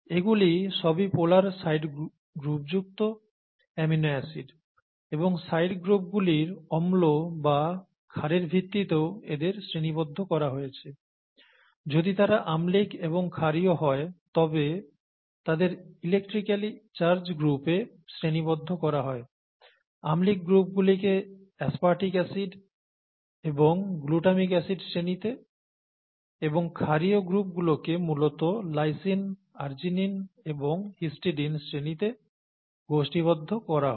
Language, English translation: Bengali, These are all amino acids with the polar side group and this has also been categorised as the side groups that are acidic and basic, if they are acidic and basic they need to be electrically rather the electrically charged groups are the ones that are on aspartic acid and glutamic acid and the basically basic groups are the ones that are on lysine, arginine and histidine